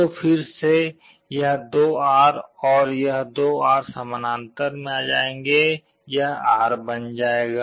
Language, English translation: Hindi, So, again this 2R and this 2R will come in parallel, that will become R